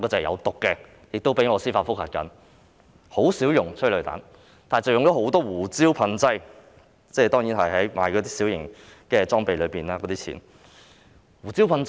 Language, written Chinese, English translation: Cantonese, 現在很少用催淚彈，但用了很多次胡椒噴劑，這方面的開支屬於購置小型工具的款項。, I have applied for a judicial review in this connection . Currently they rarely fire tear gas but they have used pepper spray a number of times . These expenses are under the category of procuring minor plant